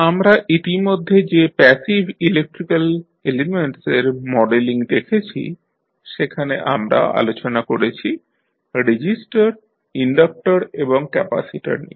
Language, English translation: Bengali, So, as we have already seen that modeling of passive electrical elements we have discussed resistors, inductors and capacitors